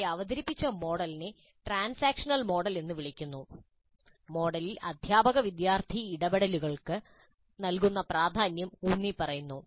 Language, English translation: Malayalam, The model presented here is called transactional model to emphasize the importance given to teacher, student interactions in the model